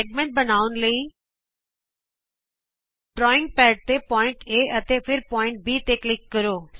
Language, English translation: Punjabi, Click on the drawing pad, point A and then on B